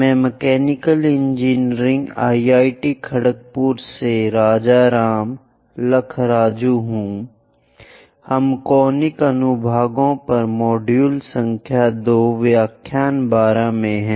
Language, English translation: Hindi, I am Rajaram Lakkaraju from Mechanical Engineering IIT Kharagpur; we are in module number 2 lecture 12 on Conic Sections